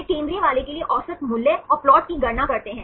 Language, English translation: Hindi, They calculate the average value and plot for the central one